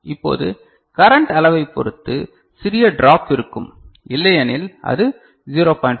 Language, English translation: Tamil, And now depending on amount of current etcetera flowing small drop might be there, but otherwise it is 0